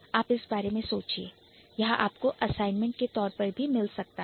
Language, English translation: Hindi, So, think about it, you might get it as an assignment later